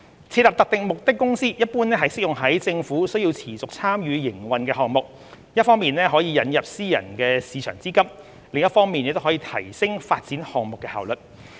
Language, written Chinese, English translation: Cantonese, 設立特定目的公司一般適用於政府須持續參與營運的項目，一方面可引入私人市場資金，另一方面也可提升發展項目的效率。, In general setting up a SPV is suitable for a project requiring the Governments continued involvement in its operation and would enable the injection of private capital and enhance the efficiency in delivering the project